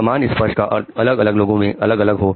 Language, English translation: Hindi, A meaning of the same touch may appear different to different people